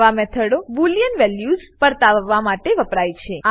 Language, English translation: Gujarati, Such methods are generally used to return boolean values